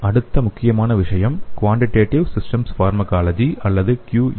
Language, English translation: Tamil, The next important thing is quantitative systems pharmacology or QSP